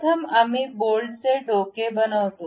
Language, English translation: Marathi, First we construct head of a bolt